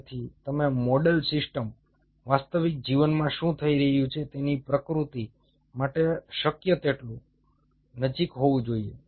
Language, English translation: Gujarati, so you model system should be able to be as close as possible to the replica of what is happening in the real life